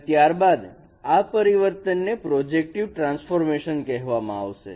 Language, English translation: Gujarati, So, let us define what is meant by a projective transformation